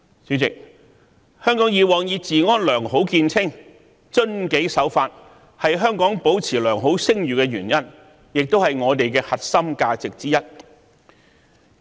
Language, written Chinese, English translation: Cantonese, 主席，香港過往以治安良好見稱，遵紀守法是香港保持良好聲譽的原因，亦是我們的核心價值之一。, President Hong Kong has been known for its excellent law and order obeying laws and regulations is a reason why Hong Kong has managed to maintain a good reputation and this is also one of our core values